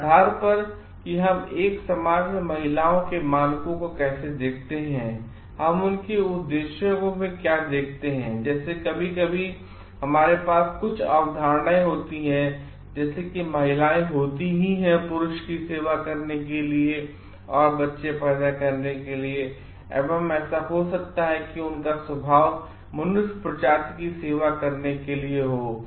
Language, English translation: Hindi, Based on how we see the standards of women in a society, what we see their purposes for; like sometimes some we have a concept like women are there to serve the man and to produce children may be like that nature is there to serve the human being